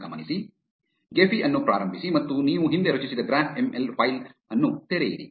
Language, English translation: Kannada, Start Gephi and open the graph ML file which you previously created